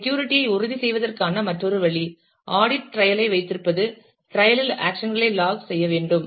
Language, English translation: Tamil, Another way to ensure security is to keep audit trail, trail must log actions into it